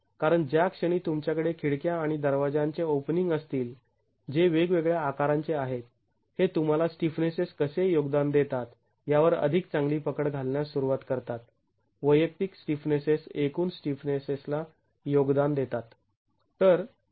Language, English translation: Marathi, This approach is probably the most convenient because when the moment you have windows and doors openings, which are of different sizes, this starts giving you a better hold on how the stiffness has contributed, individual stiffnesses contribute to the overall stiffness